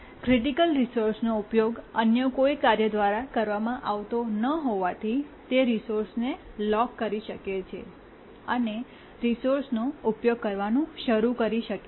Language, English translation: Gujarati, And since the critical resource was not being used by any other task, it could lock the resource and started using the resource